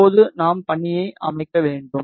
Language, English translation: Tamil, Now, we need to set the task